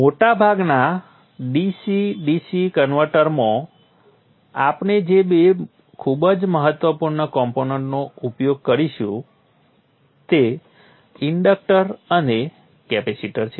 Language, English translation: Gujarati, Two very important components that we will use in most DCDC converters are the inductor and the capacitor